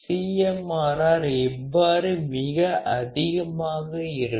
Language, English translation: Tamil, And how the CMRR can be very high